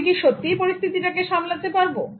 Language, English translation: Bengali, Can you really handle this situation